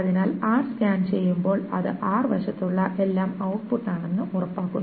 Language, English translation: Malayalam, So when r is being scanned, it is made sure that everything on the R side is being output